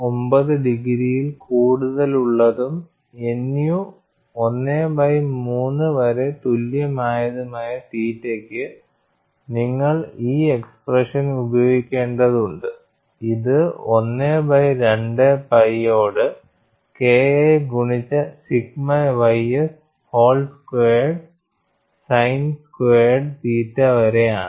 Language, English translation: Malayalam, 9 degrees and nu equal to 1 by 3, you have to use this expression, this is 1 by 2 pi, multiplied by K 1 by sigma ys whole square sin square theta